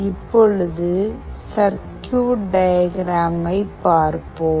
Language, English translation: Tamil, Let us now look into the circuit diagram